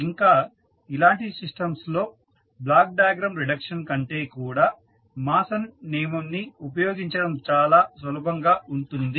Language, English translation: Telugu, And for those kind of systems we find that the Mason’s rule is very easy to use than the block diagram reduction